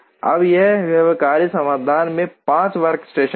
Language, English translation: Hindi, Now, this feasible solution has 5 workstations